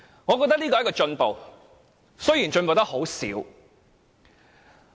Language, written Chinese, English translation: Cantonese, 我認為這是進步，儘管進步得很少。, I think this is an improvement albeit merely a small step